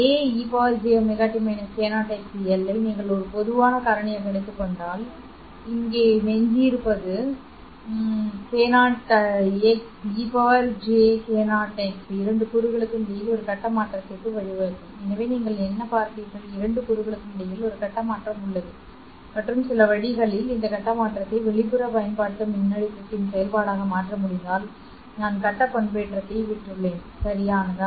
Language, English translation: Tamil, And then what you are left here will be x had plus y hat, e to the power j or other minus j k0 n y minus n x into l this term k0 n y minus n x into l will give rise to a phase shift between the two components okay so what you have seen is that there is a phase shift between the two components and if for some way, if I can make this phase shift be a function of the external applied voltage, then I have obtained phase modulation, correct